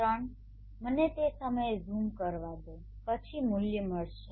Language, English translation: Gujarati, 3 let me just zoom at that point then you will get the value